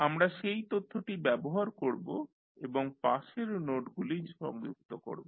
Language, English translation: Bengali, We will use that information and connect the adjacent nodes